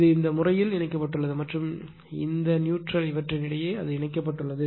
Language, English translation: Tamil, It is it is connected in this thing and , between this one and this neutral it is connected right